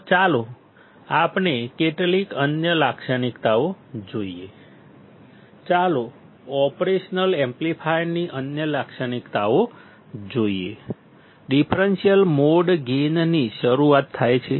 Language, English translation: Gujarati, So, let us see some other characteristics; let us see other characteristics of operational amplifier; starting with differential mode gain